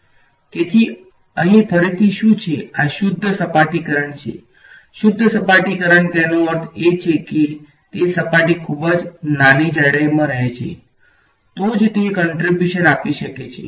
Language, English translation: Gujarati, So, what is this again over here this is also a pure surface current pure surface currents means it lives in the surface in a vanishingly small thickness, only then can it contribute